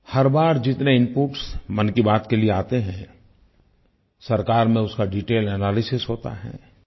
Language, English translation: Hindi, Every time the inputs that come in response to every episode of 'Mann Ki Baat', are analyzed in detail by the government